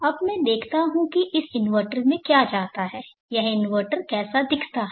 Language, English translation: Hindi, Now let me see what goes into this inverter how this inverter look like